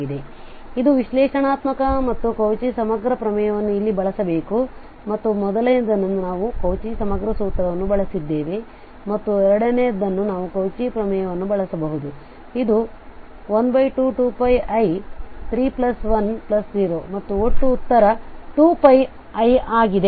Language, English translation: Kannada, So this is analytic and the Cauchy integral theorem can be used here to and the first one we have use the Cauchy integral formula and second one we can use the Cauchy theorem, so which says that this plus this 0 and the total answer we have 2 pi i